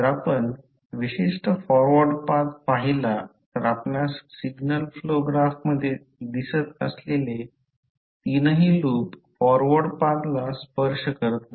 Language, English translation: Marathi, So, if you see the particular forward path all three loops which you can see in the signal flow graph are touching the forward path